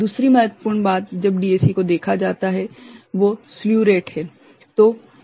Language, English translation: Hindi, The other important point is when look at a DAC is called slew rate